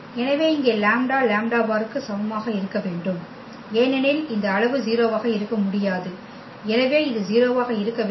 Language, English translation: Tamil, So, here the lambda must be equal to lambda bar because this quantity cannot be 0, so this has to be 0